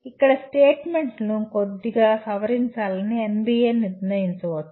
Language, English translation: Telugu, NBA may decide to slightly modify the statements here